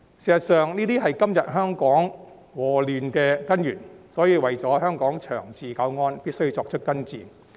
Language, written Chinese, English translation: Cantonese, 事實上，這是今天香港禍亂的根源，所以為了香港長治久安，必須作出根治。, In fact this is the root cause of the disasters and chaos in Hong Kong nowadays . Hence for the sake of the long - term stability and safety of Hong Kong it must be cured once and for all